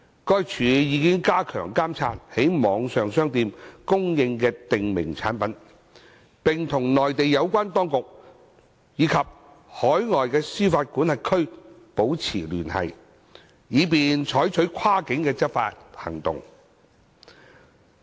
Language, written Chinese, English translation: Cantonese, 該署已加強監察在網上商店供應的訂明產品，並與內地有關當局及海外司法管轄區保持聯繫，以便採取跨境執法行動。, EMSD has stepped up monitoring on the supply of prescribed products through this channel and it maintains liaison with the relevant authorities of the Mainland and overseas jurisdictions for taking cross - boundary enforcement actions